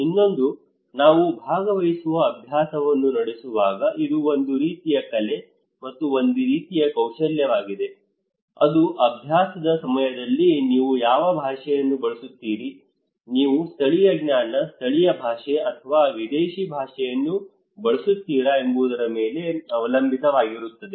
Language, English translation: Kannada, Another one is that when we conduct participatory exercises, it is a kind of art and a kind of skill, it depends on what language you are using during the exercise, are you using local knowledge, local language or the foreign language